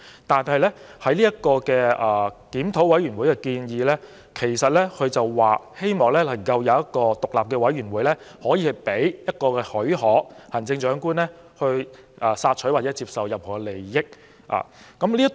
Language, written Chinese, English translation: Cantonese, 但是，檢討委員會的建議是希望能夠設立一個獨立委員會，可以提供許可予行政長官索取或接受任何利益。, That said the relevant recommendation made by IRC seeks to set up an independent committee to give permission to the Chief Executive for soliciting and accepting advantages